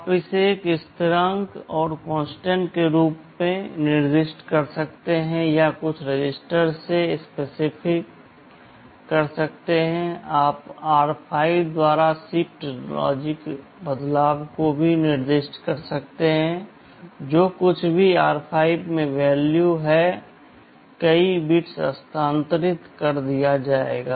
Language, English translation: Hindi, You can specify this as a constant or you can also specify some register, logical shift left by r5; whatever is the value in r5 that many bits will be shifted